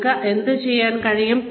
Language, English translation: Malayalam, What you can do